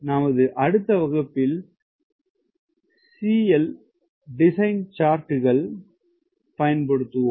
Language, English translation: Tamil, in the next class we will actually use some design charts